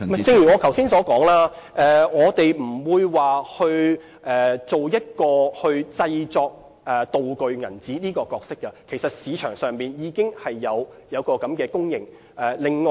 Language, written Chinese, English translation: Cantonese, 正如我剛才所說，我們不會擔當製作"道具鈔票"的角色，其實市場上已經有供應。, As I just said we will not take up the production of prop banknotes . In fact there is already this service in the market